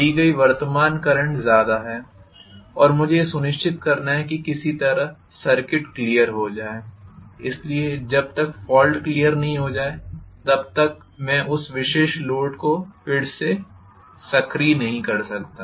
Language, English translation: Hindi, The current drawn is heavy and I have to make sure that somehow the circuit is cleared, so unless the fault is cleared I cannot activate again that particular load